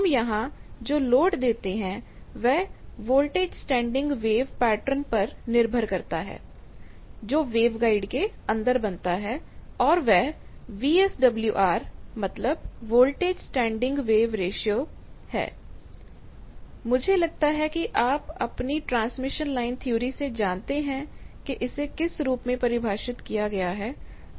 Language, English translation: Hindi, You see that at the end there is a termination we give that is the load, what you what load we give depending on the voltage standing wave pattern will be created inside the wave guide and that VSWR, VSWR means voltage standing wave ratio, I think you know from your transmission line theory that it is defined as voltage maximum by voltage minimum the line